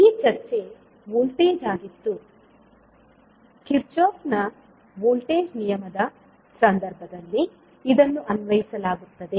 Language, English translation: Kannada, So this was for the voltage, where you see, this would be applied in case of Kirchhoff’s voltage law